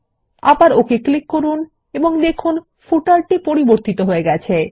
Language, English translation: Bengali, Again click on OK and we see that the effect is added to the footer